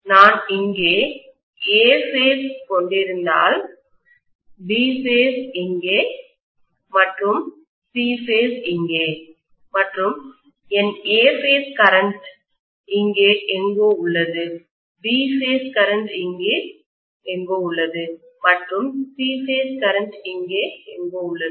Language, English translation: Tamil, If I am having A phase here, B phase here, and C phase here and let us say my A phase current is somewhere here, B phase current is somewhere here and C phase current is somewhere here